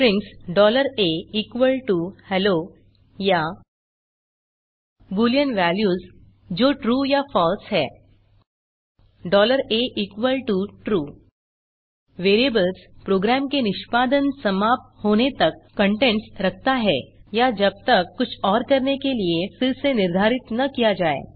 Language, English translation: Hindi, strings $a=hello or boolean values that is true or false $a=true Variable keeps the content until program finishes execution or until it is reassigned to something else